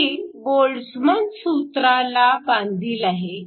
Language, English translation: Marathi, This is a Boltzmann approximation